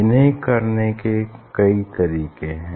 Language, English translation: Hindi, there is different way to do that